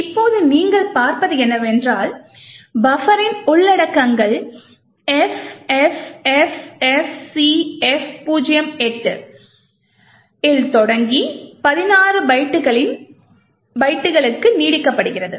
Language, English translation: Tamil, Now what you see in that the contents of the buffer starts at FFFFCF08 and extends for 16 bytes